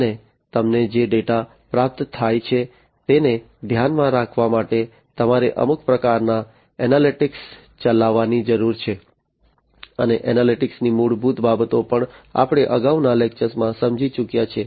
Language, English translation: Gujarati, And you need to run some kind of analytics to mind the data that is received to you need some kind of analytics, and basics of analytics also we have already understood in a previous lecture